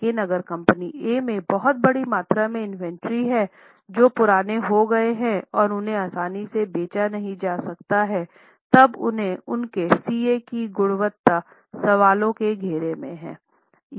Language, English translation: Hindi, 5 but if company A has very large quantum of inventories which have become old inventories, they have outdated inventories and they cannot be traded easily or sold easily, then the quality of their CA is in question